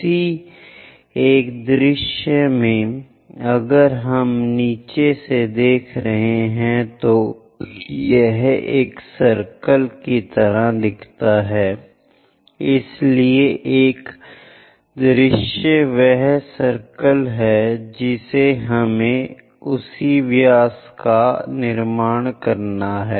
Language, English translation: Hindi, In one of the view, if we are looking at from bottom, it looks like a circle, so one of the view is circle we have to construct of same diameter